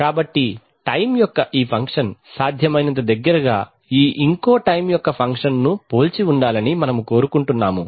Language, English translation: Telugu, So we would like that this function of time resembles this function of time as closely as possible